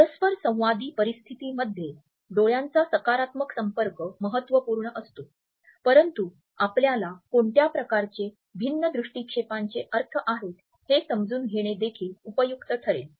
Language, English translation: Marathi, Whereas in interactive situations a positive eye contact is important, it is also helpful for us to understand what different type of glances and gazes mean to us